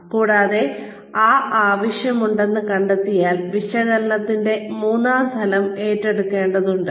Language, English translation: Malayalam, And, if that need is found to be there, then the third level of analysis, needs to be taken up